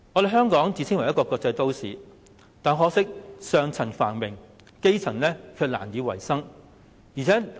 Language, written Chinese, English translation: Cantonese, 香港自稱為國際都市，但可惜只是上層繁榮，基層卻難以維生。, Though Hong Kong claims to be a cosmopolitan city prosperity is only seen in the upper class and the grass roots can hardly eke out a living